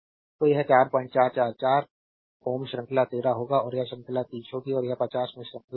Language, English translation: Hindi, 444 ohm will series 13 and this will be series is 30 and this will be in series in 50